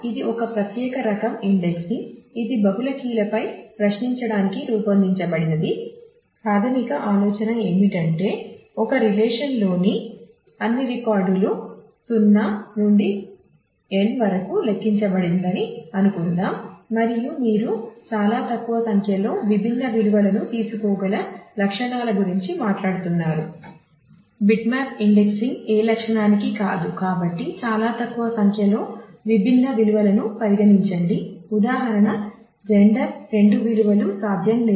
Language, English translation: Telugu, So, what you it is a special type of indexing which is designed for querying on multiple keys; the basic idea is that if let us assume that all records in a relation are numbered from 0 to n and let us say that you are talking about attributes which can take very small number of distinct values